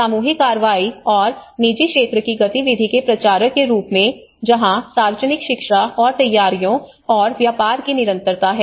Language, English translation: Hindi, As a promoters of the collective action and private sector activity that is where the public education and preparedness and business continuity